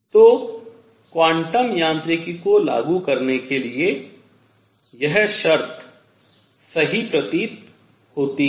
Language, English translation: Hindi, So, this seems to be the right condition for applying quantum mechanics